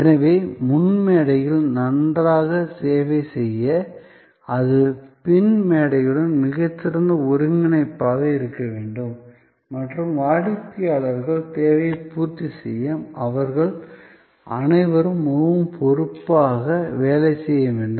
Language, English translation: Tamil, So, to serve well on the front stage, that has to be a very good integration with the back stage and they have to be all working quite responsively to meet customers need adequately or preferably beyond his or her expectation